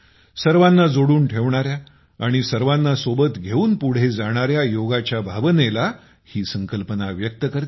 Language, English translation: Marathi, It expresses the spirit of Yoga, which unites and takes everyone along